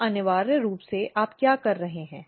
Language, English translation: Hindi, So, essentially what you are doing